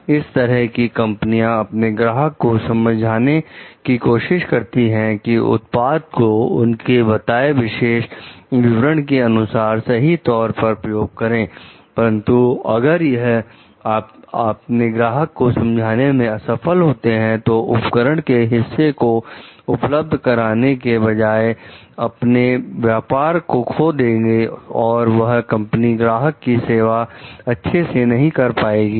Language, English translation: Hindi, Such companies tries to convince their customers to keep their applications of the product within the specifications for the product s appropriate use, but if they fail to convince the customer, they will forfeit the business rather than supply a part of the device that will not perform the company the customer s job well